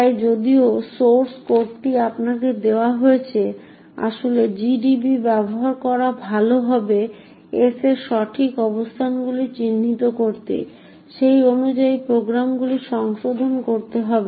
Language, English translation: Bengali, Therefore even though the source code is given to you it would be good to actually use gdb identify the exact locations of s modify the programs accordingly and then execute it in order to get it to work, thank you